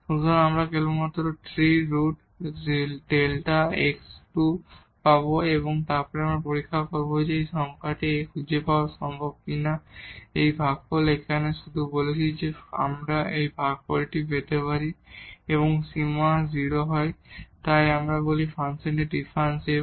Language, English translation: Bengali, So, we will get only the cube root of delta x square and now we will check whether it is possible to find a number A such that this quotient here which we have just talked, that if we can get this quotient and the limit is 0 then we call the function is differentiable